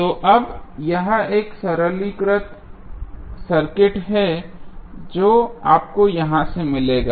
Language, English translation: Hindi, So, now, this is a simplified circuit which you will get from here